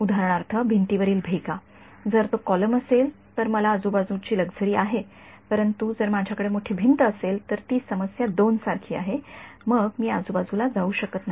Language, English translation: Marathi, For example, cracks in the wall right, if it were a column then I have the luxury of surrounding, but if I have a huge wall then it is like problem 2 then I cannot go around you know around it